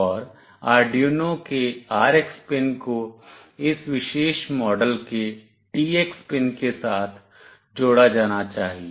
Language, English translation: Hindi, And the RX pin of Arduino must be connected with the TX pin of this particular model